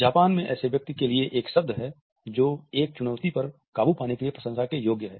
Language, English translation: Hindi, In Japan there is a word for someone who is worthy of praise overcoming a challenge